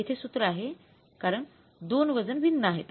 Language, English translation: Marathi, So, then two weights are different